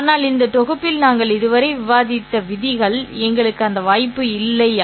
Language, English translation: Tamil, But in this set of rules that we have discussed so far, we don't have that opportunity for us